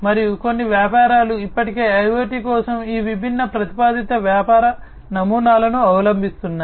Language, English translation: Telugu, And some of the businesses are already adopting these different proposed business models for IoT